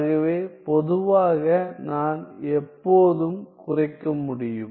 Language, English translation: Tamil, So, in general, I can always reduce